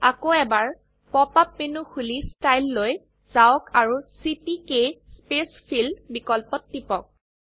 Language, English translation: Assamese, Open the pop up menu again, go to Style, Scheme and click on CPK spacefill option